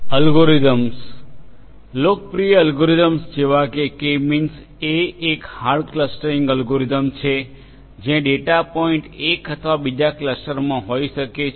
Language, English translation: Gujarati, Algorithms; popular algorithms such as the K means is a hard clustering algorithm, where the data points will belong to one cluster completely or another